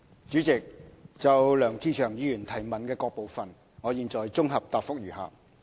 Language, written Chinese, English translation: Cantonese, 主席，就梁志祥議員質詢的各部分，現綜合答覆如下。, President my consolidated reply to the various parts of Mr LEUNG Che - cheungs question is as follows